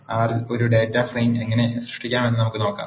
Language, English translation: Malayalam, Let us see how to create a data frame in R